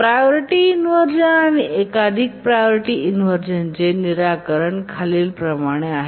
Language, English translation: Marathi, Now let's see what are the solutions for the priority inversion and multiple priority inversions